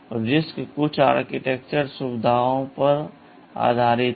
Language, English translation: Hindi, RISC is based on some architectural features